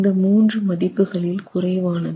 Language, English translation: Tamil, The lesser of the 3 has to be considered